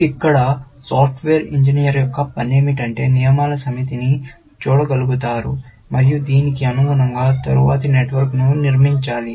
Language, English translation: Telugu, The task of the software engineer here, is to be able to view the set of rules, and construct a latter network corresponding to this, essentially